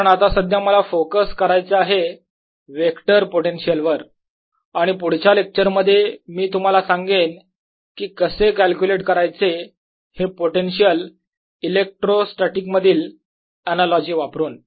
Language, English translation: Marathi, first, because right now i want to focus on the vector potential, and in the next lecture i'll tell you how to calculate these potentials using analogy with the electrostatics